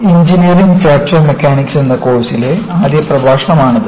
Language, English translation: Malayalam, This is the first lecture, in the course on Engineering Fracture Mechanics